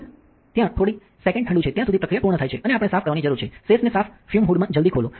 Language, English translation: Gujarati, Just a few seconds until its cold when the process is complete and we need to clean, open the sash into the clean fume hood